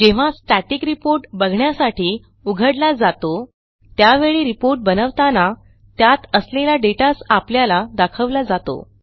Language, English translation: Marathi, Whenever a Static report is opened for viewing, it will always display the same data which was there at the time the report was created